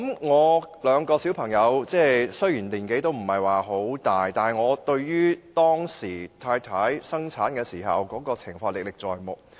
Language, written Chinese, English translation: Cantonese, 我有兩名小朋友，雖然年紀不是很大，但我對太太當時生產的情況歷歷在目。, I have two kids . They are still small . The scenarios of my wife giving birth to the kids are still vivid in my mind